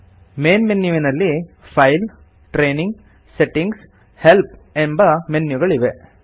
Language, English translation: Kannada, The Main menu comprises the File, Training, Settings, and Help menus